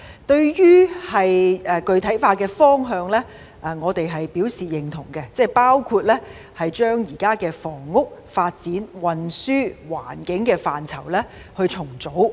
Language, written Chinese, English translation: Cantonese, 對於具體化的方向，我們表示認同，包括將現時房屋、發展、運輸及環境政策範疇重組。, We agree with the direction of concretization including reorganization of the existing policy portfolios in respect of housing development transport and environment